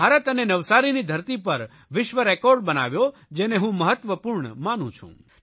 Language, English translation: Gujarati, Government of India created a world record in Navsari which I believe to be very important